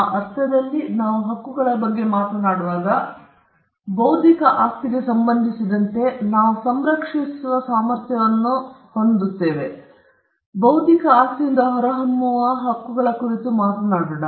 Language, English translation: Kannada, In that sense, when we talk about rights, when in connection with intellectual property, we are talking about rights that emanate from the intellectual property, which are capable of being protected